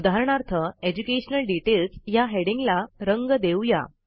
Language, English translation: Marathi, For example, let us color the heading EDUCATION DETAILS